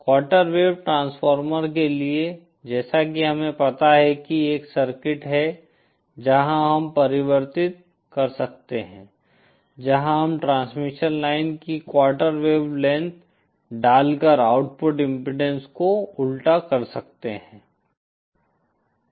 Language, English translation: Hindi, For quarter wave transformer as we have know is a is a circuit where we can convert where we can kind of reverse the output impedance by putting a quarter wavelength of transmission line